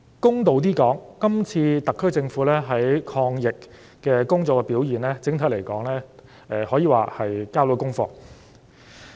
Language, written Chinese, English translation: Cantonese, 公道一點說，今次特區政府在抗疫工作方面的表現，整體而言，可說是交到功課。, In all fairness judging from the performance of the SAR Government in its work to combat the epidemic I would say that overall speaking it has fulfilled its duties